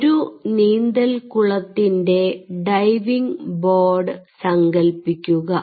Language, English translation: Malayalam, imagine a diving board of a swimming pool